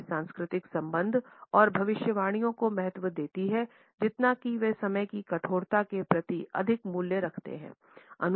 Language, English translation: Hindi, These cultures value relationship and predictions more than they value rigidity towards time